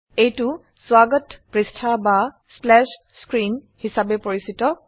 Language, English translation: Assamese, This is known as the welcome page or splash screen